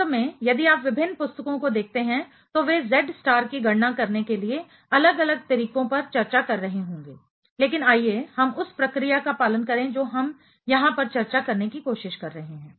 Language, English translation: Hindi, Actually, if you look at different books they might will be discussing different ways to calculate the Z star, but let us follow the procedure what we are trying to discuss over here